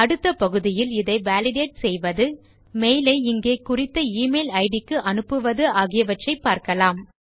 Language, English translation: Tamil, In the next part of this video we will learn how to validate this and eventually send this mail to the user specified in this email id here